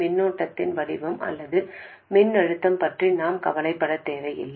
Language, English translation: Tamil, We don't have to worry about exactly the shape of the current or the voltage